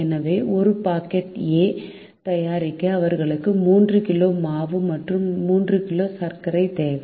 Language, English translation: Tamil, so to make one packet of a, they need three kg of flour and three kg of sugar